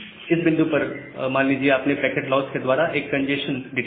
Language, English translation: Hindi, At this point, you have detected a congestion by say packet loss